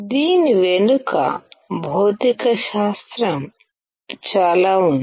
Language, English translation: Telugu, There is lot of physics behind it